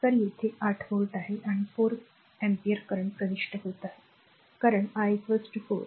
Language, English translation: Marathi, So, here it is 8 volt and 4 ampere current is entering because I is equal to 4